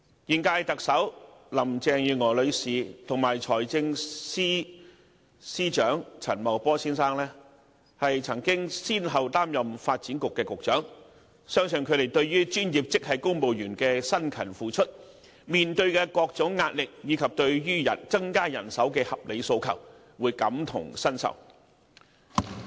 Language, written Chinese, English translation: Cantonese, 現屆特首林鄭月娥女士及財政司司長陳茂波先生均曾先後擔任發展局局長，相信兩人對於專業職系公務員的辛勤付出、面對的各種壓力，以及對於增加人手的合理訴求，會感同身受。, The incumbent Chief Executive Ms Carrie LAM and Financial Secretary Mr Paul CHAN had respectively been the Secretary for Development before so I believe both of them will share the dedication shown by professional grade civil servants and the pressure faced by them as well as their reasonable request for increasing manpower